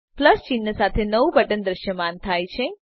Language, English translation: Gujarati, A new button with a plus sign has appeared